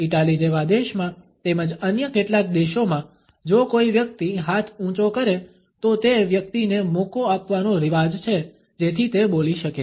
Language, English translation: Gujarati, In a country like Italy as well as in certain other countries if a person raises the hand, it is customary to give the floor to that person so that he can speak